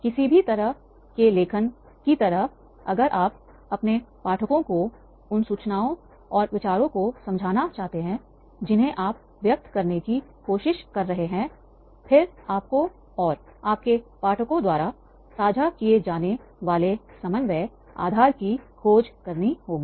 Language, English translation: Hindi, Like any kind of writing, if you want your readers to understand the information and ideas you are trying to convey, then you have to search for the common ground you and your readers share